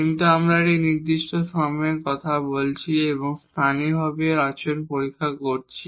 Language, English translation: Bengali, But we are talking about at a certain point and checking its behavior locally